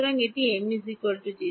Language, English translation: Bengali, That is 0